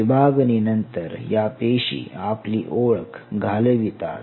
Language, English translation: Marathi, After division, these cells lose their individual identity